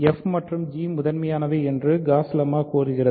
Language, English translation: Tamil, Gauss lemma says that if f and h are primitive